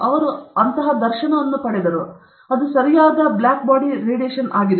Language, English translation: Kannada, So, he got that dharshana that is the correct black body distribution